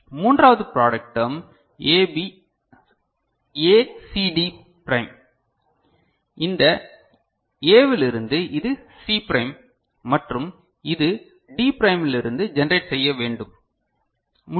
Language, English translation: Tamil, Third product term ACD prime I can generate from A, this is C prime and this is D prime ok